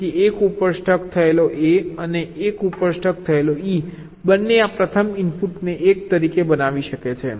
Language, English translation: Gujarati, so both a stuck at one and e stuck at one can make this first input as one